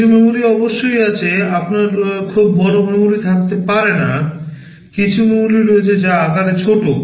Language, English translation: Bengali, There is some memory of course, you cannot have very large memory, some memory is there that is small in size